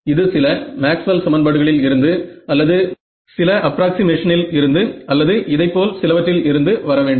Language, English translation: Tamil, It has to come from some Maxwell’s equations or some approximation or something of this are